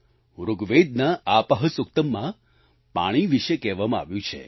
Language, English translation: Gujarati, Rigveda'sApahSuktam says this about water